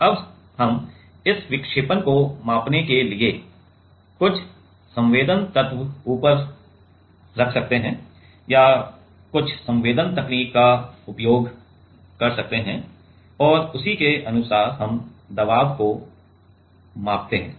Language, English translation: Hindi, Now, we can put some sensing element on top or some sensing technique to measure this deflection, right and accordingly we can measure the pressure